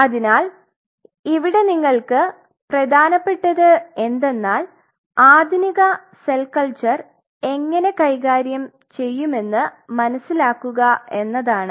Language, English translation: Malayalam, So, what is important here for you is to understand the kind of problems what the modern cell culture will be dealt